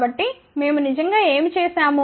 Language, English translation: Telugu, So, what we did actually